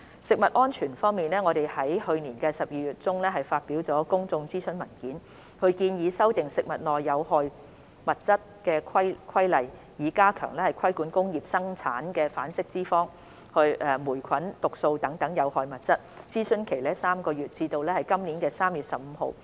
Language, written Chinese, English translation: Cantonese, 食物安全方面，我們於去年12月中發表了公眾諮詢文件，建議修訂《食物內有害物質規例》，以加強規管工業生產的反式脂肪、霉菌毒素等有害物質，諮詢為期3個月，至今年3月15日止。, Concerning food safety a public consultation document was published in mid - December last year on the proposed amendments to the Harmful Substances in Food Regulations for strengthening the regulation of harmful substances such as industrially - produced trans fats and mycotoxins . The consultation period will last for three months until 15 March this year